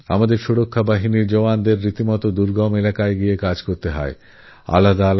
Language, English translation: Bengali, Jawans from our security forces have to perform duties in difficult and remote areas